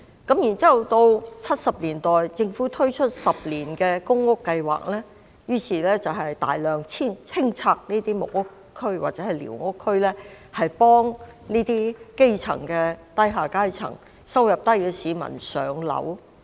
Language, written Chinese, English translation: Cantonese, 然後在1970年代，政府推出10年公屋計劃，於是大量清拆木屋區和寮屋區，幫助基層和低收入人士上樓。, Then in the 1970s the Government launched a 10 - year public housing programme extensively clearing squatter areas to help the grass roots and low - income people to move to public rental housing PRH